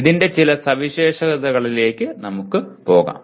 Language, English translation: Malayalam, Let us move on to some features of this